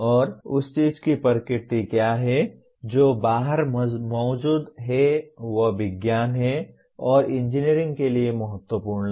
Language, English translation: Hindi, And what is the nature of that thing that exists outside is science and that is important to engineering